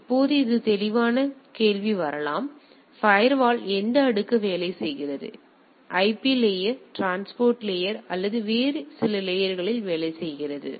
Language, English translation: Tamil, Now, obvious question may come that which layer the firewall works right; whether it is works in the IP layer, transport layer or some other layers etcetera